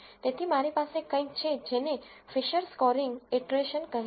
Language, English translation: Gujarati, So, I have something called the Fisher scoring iteration